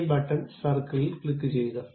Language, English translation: Malayalam, Click this button circle